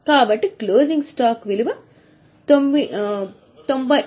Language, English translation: Telugu, So, value of closing stock is 98,000